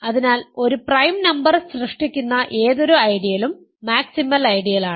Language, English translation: Malayalam, So, any ideal generated by a prime number is a maximal ideal